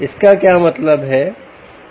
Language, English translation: Hindi, ok, what does it mean